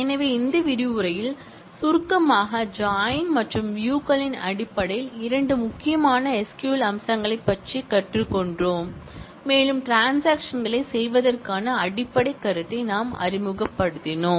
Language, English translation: Tamil, So, to summarize in this module, we have learnt about two important SQL features in terms of join and views and we just introduced the basic notion of committing transactions